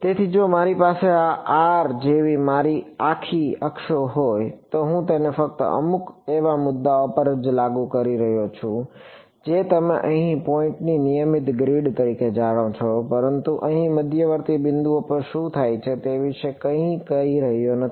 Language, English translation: Gujarati, So, if I had my whole axes like this r, I am only enforcing it at some you know regular grid of points over here, but I am not saying anything about what happens at intermediate points over here, here, here and so on right